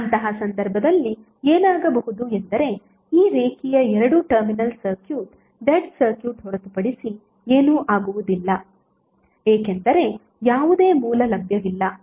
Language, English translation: Kannada, So in that case what will happen that this linear two terminal circuit would be nothing but a dead circuit because there is no source available